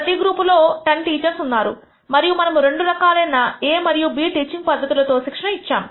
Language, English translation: Telugu, There are 10 teachers in each group and we have trained them by two different methods A and B teaching methodology